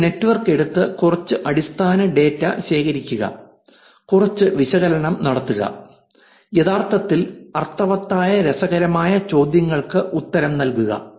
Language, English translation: Malayalam, Take it a network collect some basic data, do some analysis and answer interesting questions that actually makes sense